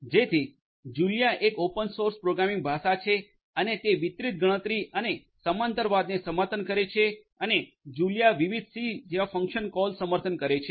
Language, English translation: Gujarati, So, Julia is a open source programming language and it supports distributed computation and parallelism and there are different c like called function calls that are supported by Julia